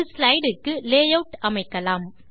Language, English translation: Tamil, Lets apply a layout to a slide